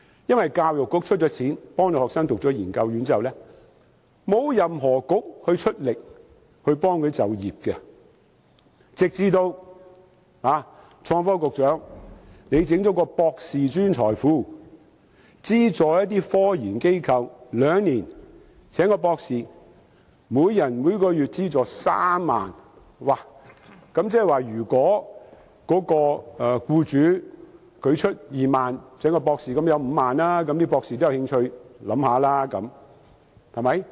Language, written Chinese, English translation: Cantonese, 因為教育局資助學生修讀研究院後，沒有任何政策局協助他們就業，直至創新及科技局最近成立"博士專才庫"，資助科研機構聘請一名博士兩年，每人每月資助3萬元，即是如果僱主支付2萬元，合共便有5萬元，博士便有興趣考慮。, After the Education Bureau has subsidized students in taking post - graduate courses no Policy Bureau has assisted them in finding jobs . Recently the Innovation and Technology Bureau established the Postdoctoral Hub under which scientific research companies would be given a monthly subsidy of 30,000 to employ a doctor for two years . If the company pays 20,000 the doctor will get a total payment of 50,000 and they may be interested and will consider the option